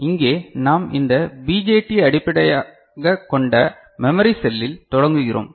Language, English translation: Tamil, So, here we begin with the BJT based this memory cell